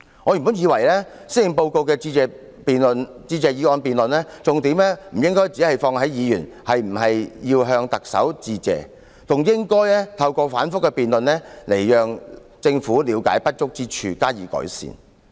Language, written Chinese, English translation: Cantonese, 我原本以為，施政報告的致謝議案辯論重點不應只放在議員是否要向特首致謝，還應該透過反覆的辯論讓政府了解不足之處，加以改善。, I originally thought that the motion debate on the Policy Address should not focus only on whether Members should thank the Chief Executive . It should also give the Government a chance to understand its shortcomings and improve them through repeated debates